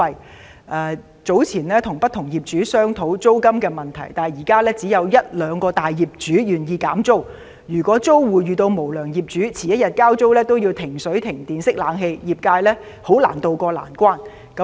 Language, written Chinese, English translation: Cantonese, 他提及自己早前曾與不同業主商討租金問題，但現時只有一兩位大業主願意減租，如果租戶遇到無良業主，遲1天交租都會被截停水、電、冷氣，業界是難以渡過難關的。, Only one or two large real estate developers are willing to lower the rents for their tenants . Some property owners are very mean . They cut the water electricity and air - conditioning when their tenants are slightly late in rent payment